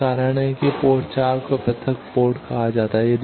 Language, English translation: Hindi, That is why port 4 is called isolated port